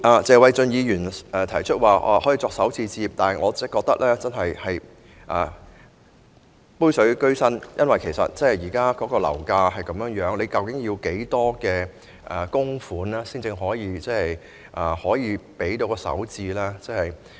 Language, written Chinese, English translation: Cantonese, 謝偉俊議員提出使用強積金作首次置業首期，但我覺得這是杯水車薪，因為以現時樓價水平，究竟要動用多少強積金才可應付首置？, Mr Paul TSE has proposed to use MPF to pay the down payment of first home purchase . I hold that this is just a drop in the bucket . According to the current property price level how much MPF has actually to be used in order to pay the down payment?